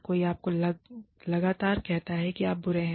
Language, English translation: Hindi, Somebody, constantly tells you, you are bad